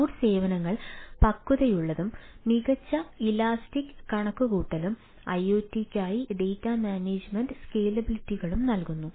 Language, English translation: Malayalam, cloud services are mature and provide excellent elastic computation and data management scalabilities